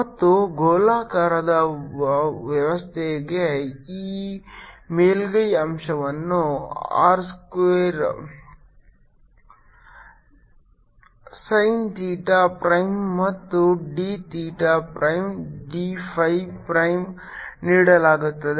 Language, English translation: Kannada, this spherical element is given by r square time theta prime and d theta prime, d phi prime